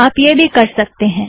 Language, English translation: Hindi, You can use that as well